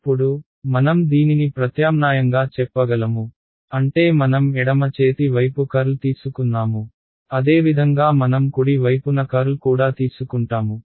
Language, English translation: Telugu, Now, I can substitute this I mean this I took the curl on the left hand side similarly I will take the curl on the right hand side as well